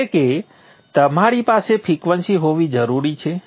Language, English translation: Gujarati, And then of course you need to have the frequency